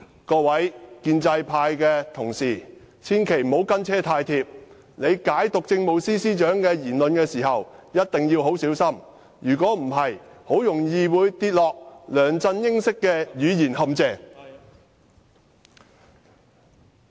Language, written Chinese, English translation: Cantonese, 各位建制派同事，千萬不要跟車太貼，你們解讀政務司司長的言論時，一定要很小心，否則很容易會跌落梁振英式的語言陷阱。, May I ask pro - establishment colleagues not to make comments hastily; they must be very careful when they interpret the Chief Secretarys remarks; otherwise they would very easily fall into language style typical of LEUNG Chun - yings style